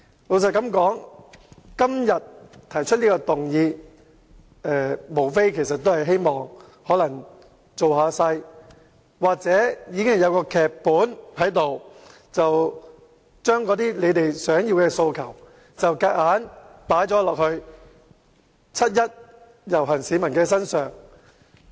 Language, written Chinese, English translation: Cantonese, 民主黨今天提出這項議案，無非為了造勢，又或是已經編好劇本，把他們的訴求強加於七一遊行的市民身上。, Clearly the Democratic Party moves this motion today to rally support for the upcoming procession; or they must have already prepared the script for the 1 July march so that they can impose their own aspirations on the participants